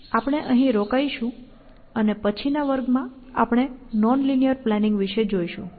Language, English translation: Gujarati, So, we will stop here, and in the next class, we will take up this non linear planning